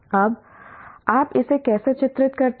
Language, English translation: Hindi, Now how do I characterize this